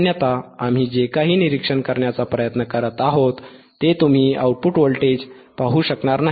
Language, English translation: Marathi, Otherwise you will not be able to see the output voltage whatever we are trying to observe